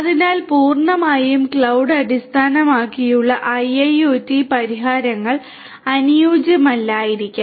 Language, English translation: Malayalam, So, IIoT solutions which are purely cloud based may not be ideal